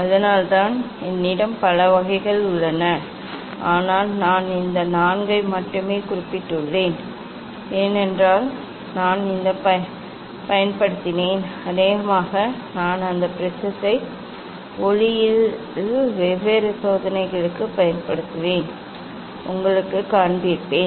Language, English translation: Tamil, that is why just I have there are many types, but I mentioned only this four because I have used this and probably, I will use those prism for different experiment in optics and show you